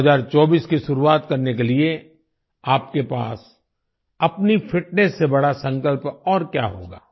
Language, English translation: Hindi, What could be a bigger resolve than your own fitness to start 2024